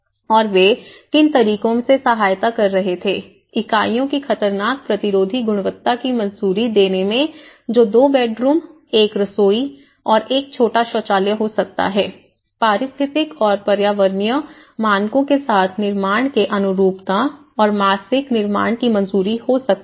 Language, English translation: Hindi, And what are the ways they were assisting, approval of hazard resistant quality of the units so it could be a 2 bedroom and a kitchen and 1 small toilet, approval of the conformance of the construction with ecological and environmental standards and approval of the monthly construction payments